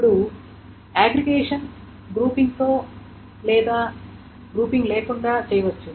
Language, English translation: Telugu, Now aggregation can be done with or without grouping